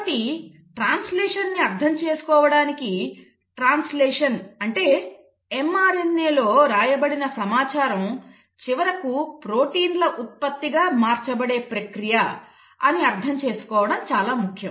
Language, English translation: Telugu, So to understand translation it is important to understand that translation is the process by which the information which is written in mRNA is finally converted to the product which are the proteins